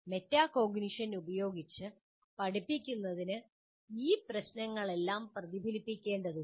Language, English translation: Malayalam, So one is the teaching with metacognition requires reflecting on all these issues